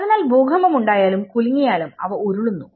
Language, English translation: Malayalam, So, they roll over even if earthquake comes and shakes